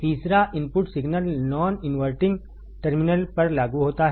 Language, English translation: Hindi, Third, the input signal is applied to the non inverting terminal